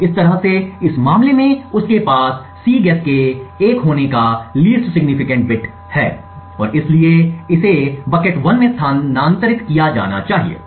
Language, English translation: Hindi, So, in a same way in this case he has the least significant bit of Cguess to be 1 and therefore this should be moved to bucket 1